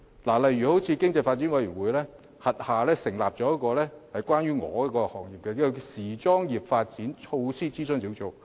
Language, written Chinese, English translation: Cantonese, 舉例而言，經濟發展委員會轄下成立了一個與我所屬行業相關的時裝業發展措施諮詢小組。, For example the Advisory Group on Implementation of Fashion Initiatives relating to my industry was set up under the Economic Development Commission